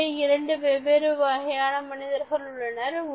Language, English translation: Tamil, There are only two kinds of people on earth today